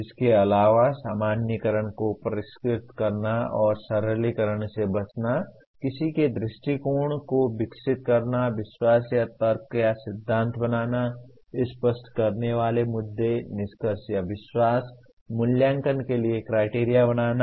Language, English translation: Hindi, Further, refining generalizations and avoiding over simplifications; developing one’s perspective, creating or exploring beliefs arguments or theories; clarifying issues, conclusions or beliefs; developing criteria for evaluation